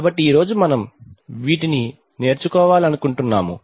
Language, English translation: Telugu, So this is what we wish to learn today